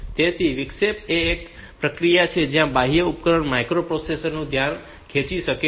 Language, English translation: Gujarati, So, interrupt is a process where an external device can get the attention of the micro processor